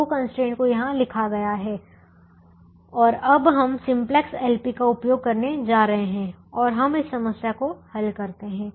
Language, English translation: Hindi, the two constraints are written here and we are going to use simplex l, p and we solve this